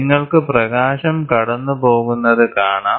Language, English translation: Malayalam, So, you can see light going by